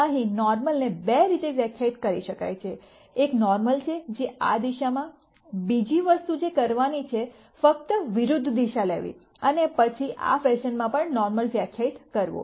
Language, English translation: Gujarati, Here the normal could be defined in two ways, one is the normal is in this direction, the other thing to do is to just take the opposite direction and then define a normal in this fashion also